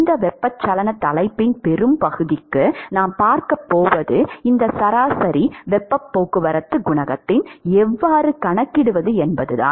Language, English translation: Tamil, And what we are going to see for most part of this convection topic is how to calculate this average heat transport coefficient